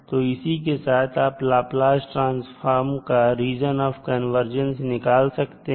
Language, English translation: Hindi, So with this you can find out the value of the region of convergence for Laplace transform